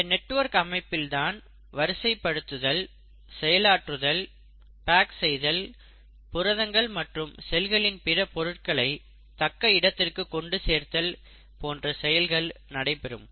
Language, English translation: Tamil, And you find that it is in these networks of channels that the sorting, processing, packaging and delivery of the proteins and other constituents of the cells happen